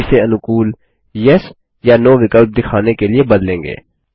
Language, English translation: Hindi, We will change this to show a friendlier Yes or No option